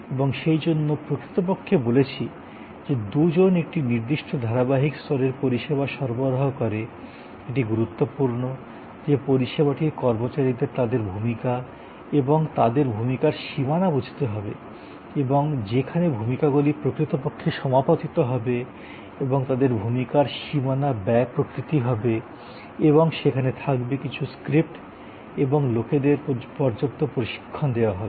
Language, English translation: Bengali, And therefore, we actually say that two deliver a certain consistent level of service it is important that the service personal understand their roles and the boundaries of their roles and where the roles will actually overlap and the boundary spending nature of their roles and there will be some scripts and there should be enough training provided to people